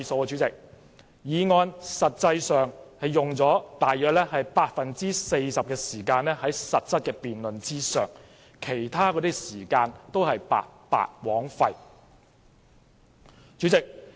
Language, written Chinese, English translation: Cantonese, 這項議案的實質辯論實際上只用了 40% 的時間，其他時間都是白白枉費。, Only 40 % of the time had been spent on the substantive debate on this motion while the rest of the time had been wasted